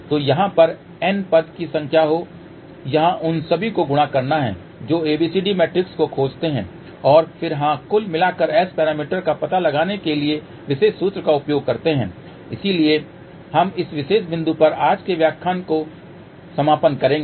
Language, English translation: Hindi, So, let there be n number of terms over here multiply all of those find overall ABCD matrix and then yes just use this particular formula to find out overall S parameter